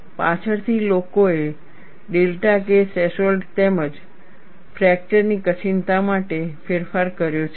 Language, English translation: Gujarati, Later, people have modified to account for delta K threshold as well as fracture toughness